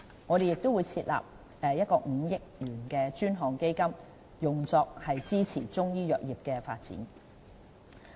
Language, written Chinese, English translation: Cantonese, 我們亦會設立5億元專項基金，用作支持中醫藥業的發展。, We will also establish a 500 million fund to support the development of Chinese medicine